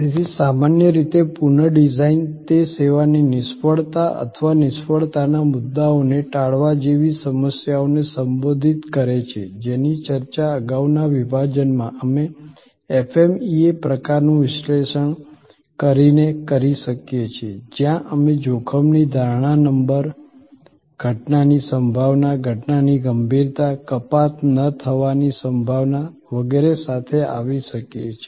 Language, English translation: Gujarati, So, the redesign in general, it addresses problems like service failures or avoidance of failure points, discussed in a previous secession we can do by the, doing the FMEA type of analysis, where we can come up with the risk perception number by looking at the probability of occurrence, the severity of the occurrence, probability of non deduction, etc